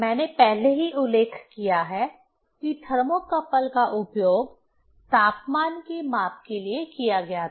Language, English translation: Hindi, I mentioned already that the thermocouple was used for the measurement of temperature